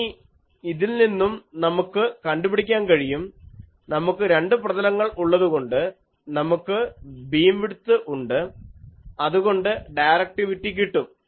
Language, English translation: Malayalam, Now, from this, we can find out, since we have in two planes, we have the beam width, so directivity can be obtained